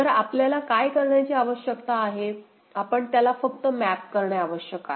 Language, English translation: Marathi, So, what we need to do, we need to just map it right